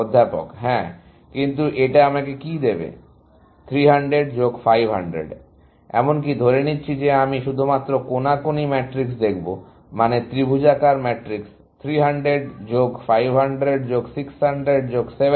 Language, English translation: Bengali, Yes, but that would give me what; 300 plus 500, even assuming that I will look at only the diagonal matrix, I mean, triangular matrix; 300 plus 500 plus 600 plus 700